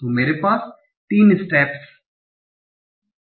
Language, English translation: Hindi, So I have three steps